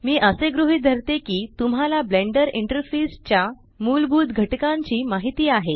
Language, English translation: Marathi, I assume that you know the basic elements of the Blender interface